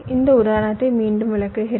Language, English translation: Tamil, let me explain this example again